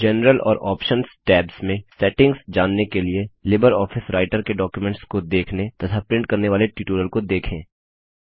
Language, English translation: Hindi, To know about the settings under General and Options tabs,ltPAUSEgt please see the tutorial on Viewing and printing Documents in the LibreOffice Writer series